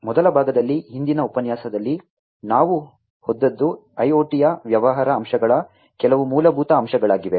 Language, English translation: Kannada, In the first part, what we have gone through in the previous lecture was some of the fundamentals of the business aspects of IoT